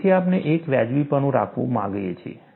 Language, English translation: Gujarati, So, we want to have a justification